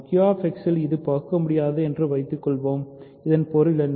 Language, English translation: Tamil, Suppose it is not irreducible in Q X, what does that mean